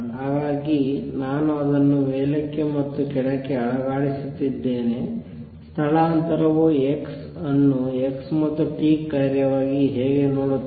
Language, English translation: Kannada, So I am shaking it up and down how does displacement look at x as a function of x and t